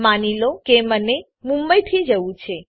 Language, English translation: Gujarati, Suppose i want to go from Mumbai